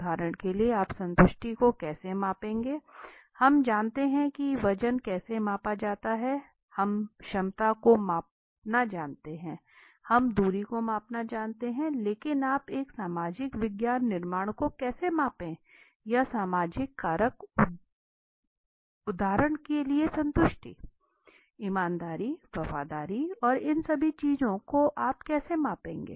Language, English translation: Hindi, How would you measure satisfaction for example, we know how to measure weight we know how to measure capacity we know how to measure distance but how would you measure a social science construct or let us say social factor for example let us satisfaction honesty loyalty and all these things so how would you measure